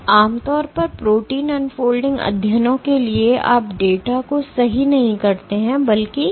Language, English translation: Hindi, So, typically for protein unfolding studies you do not plot the data right this, but rather